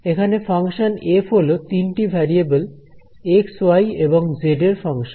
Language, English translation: Bengali, So, now, you have this function f over here which is function of three variables x, y and z